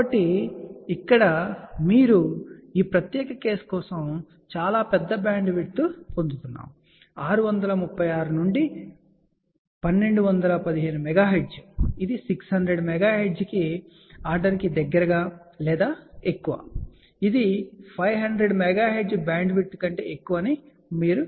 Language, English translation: Telugu, So, here if you see for this particular case we are getting a much larger bandwidth, 636 to 1215 megahertz, this is you can say of the order of close to 600 megahertz or over here, it is more than 500 megahertz bandwidth